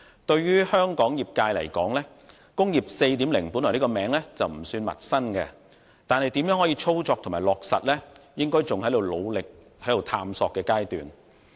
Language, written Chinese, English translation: Cantonese, 對於香港業界而言，"工業 4.0" 的名稱本來不算陌生，但如何操作和落實，應該仍在努力探索的階段。, To the industrial sector in Hong Kong the so - called Industry 4.0 is not new but its operation and implementation are still in a stage of active exploration